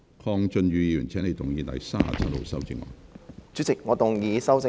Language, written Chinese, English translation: Cantonese, 鄺俊宇議員，請你動議編號37的修正案。, Mr KWONG Chun - yu you may move Amendment No . 37